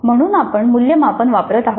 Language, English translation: Marathi, So we are using the assessment